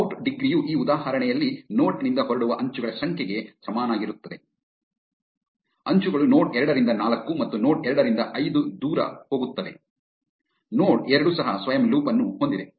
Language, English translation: Kannada, Out degree equals to the number of edges leaving a node in this example, edges are going away from node 2 to 4 and node 2 to 5, node two also has a self loop